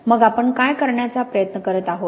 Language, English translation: Marathi, So what are we trying to do